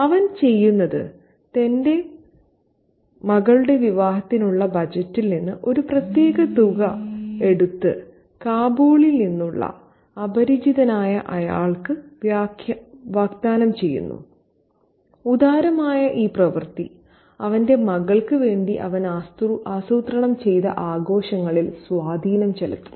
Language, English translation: Malayalam, So, what he does is from the budget he has for his daughter's wedding, he takes out a particular sum of money and offers it to the man, the stranger from Kabul, and that generous act has an impact on the festivities that he had planned for his daughter